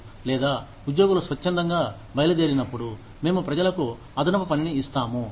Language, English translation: Telugu, Or, when employees leave voluntarily, we give people, additional work